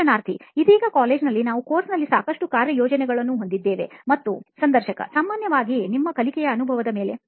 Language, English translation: Kannada, Right now in college like we have a lot of assignments in the course and… Generally over your learning experience